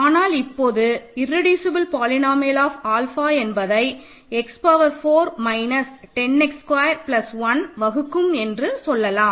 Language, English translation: Tamil, But we know that the irreducible polynomial of alpha at this point all we can say is it divides x power 4 minus 10 x squared plus 1 ok